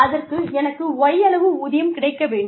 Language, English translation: Tamil, I should get y amount of pay